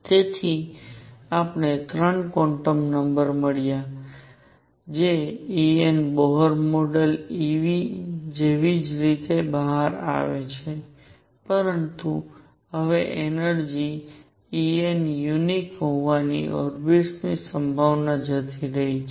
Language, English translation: Gujarati, So, we found 3 quantum numbers third the energy E n comes out to be exactly the same as Bohr model e v, but now the possibility of an orbit having energy E n being unique is gone